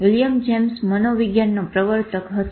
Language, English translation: Gujarati, William James was one of the pioneers of psychology